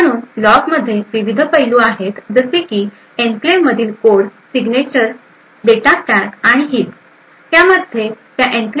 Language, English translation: Marathi, So, the log contains the various aspects like it has signatures of the code, data stack and heap in the enclave